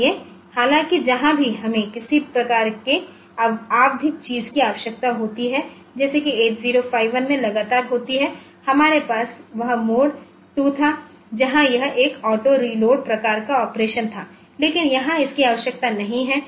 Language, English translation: Hindi, So, though wherever we need some sort of periodic thing to occur continually like in 8051 we had had that mode 2 where it was a auto reload type of operation, but here it is not required